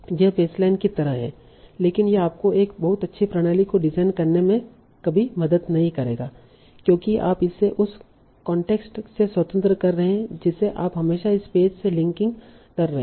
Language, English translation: Hindi, That is like a baseline but this will never help you in designing a very good system because you are doing it independent of the context